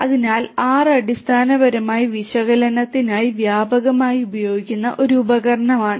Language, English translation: Malayalam, So, R is basically a tool that is widely used for analytics